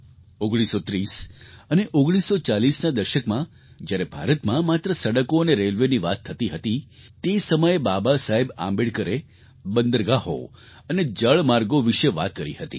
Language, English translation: Gujarati, In the 30s and 40s when only roads and railways were being talked about in India, Baba Saheb Ambedkar mentioned about ports and waterways